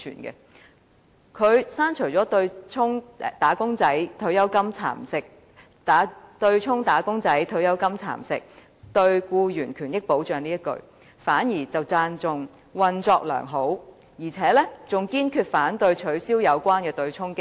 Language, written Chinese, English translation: Cantonese, 他刪除了對沖"嚴重蠶食'打工仔女'的'血汗錢'，並直接影響他們的退休保障"的字眼，卻讚賞對沖機制"運作良好"，而且"堅決反對取消有關對沖機制"。, He deleted the words that the MPF offsetting mechanism seriously eroded the hard - earned money of wage earners and directly affected their retirement protection and commended the mechanism for functioning effectively and resolutely oppose abolishing the offsetting mechanism